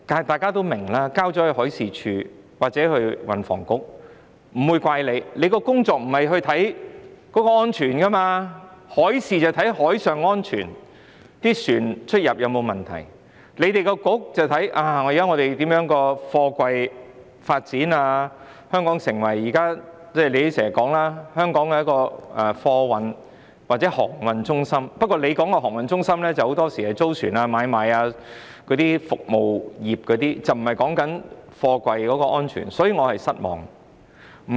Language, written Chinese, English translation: Cantonese, 大家也明白，有關工作由海事處或運房局負責，我們不會責怪他們，因為海事處負責監察海上安全，看看船隻出入有否問題，運房局則應負責審視香港的貨櫃發展......政府經常說香港是貨運或航運中心，但政府很多時候着重租船、買賣等服務業，而不是貨櫃安全，這令我感到失望。, We all understand that the relevant work is carried out by the Marine Department or THB . We will not blame them because the Marine Department is responsible for monitoring maritime safety and finding out if there are problems with vessels entering and exiting Hong Kong while THB should be responsible for reviewing container development in Hong Kong The Government often says that Hong Kong is a freight or shipping centre but very often it attaches importance to chartering trading and other service industries rather than container safety; I am thus greatly disappointed